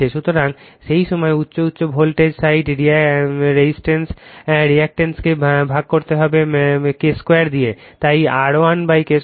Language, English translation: Bengali, So, in that time high your high voltage side resistance reactance it has to be divided by your K square, so that is why R 1 upon K square